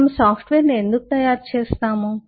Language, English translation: Telugu, why do we make software